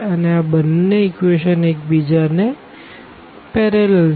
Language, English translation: Gujarati, So, both the equations are basically parallel to each other